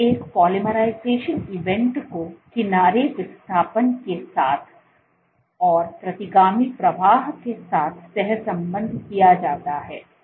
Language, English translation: Hindi, So, a polymerization event is correlated with an edge displacement and correlated with retrograde flow